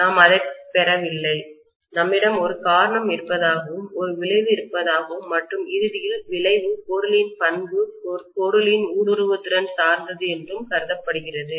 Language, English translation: Tamil, We have not derived it, we have assumed that there is a cause and there is an effect and ultimately the effect depends upon the material property and the material property is permeability